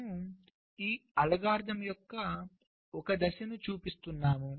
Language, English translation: Telugu, so i am showing one step of this algorithm